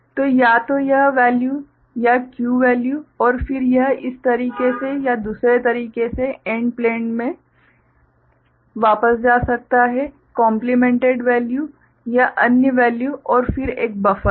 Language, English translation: Hindi, So, either this value or the Q value right and this then it can go back to the AND plane in this manner or the other manner right, the complemented value or the other value and then there is a buffer